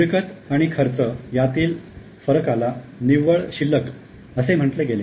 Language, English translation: Marathi, The difference between income and expense was termed as a net balance